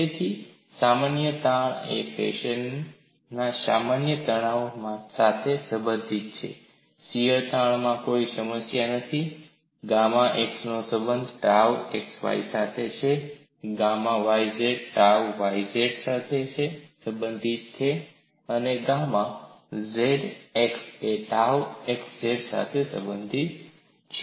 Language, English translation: Gujarati, So, the normal strains are related to normal stress in this fashion, shears strain there is no problem, gamma x y is related to tau x y, gamma y z is related to tau y z, gamma x z is related to tau x z